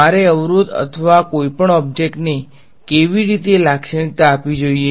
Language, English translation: Gujarati, What how should I characterize an obstacle or any object